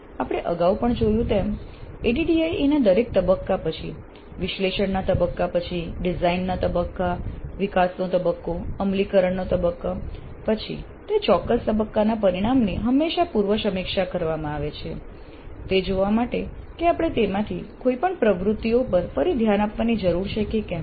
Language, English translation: Gujarati, As we saw earlier also, after every phase of the ADD, after analysis phase, design phase, develop phase, implement phase, the outputs of that particular phase are always pre reviewed to see if we need to revisit any of those activities